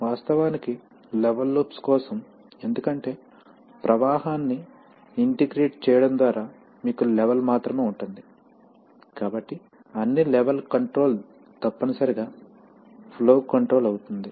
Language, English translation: Telugu, Of course, for level loops because by integrating flow only you have level, so all level control is essentially flow control